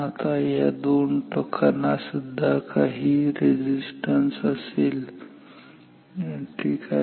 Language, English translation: Marathi, Now this lid will also have some resistance ok